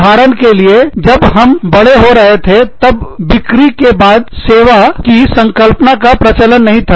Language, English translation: Hindi, For example, when we were growing up, the concept of after sales service, was not very prevalent